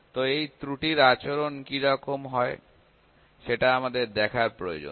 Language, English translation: Bengali, So, we need to see what is the behaviour of the error